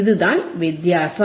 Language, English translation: Tamil, tThat is thea difference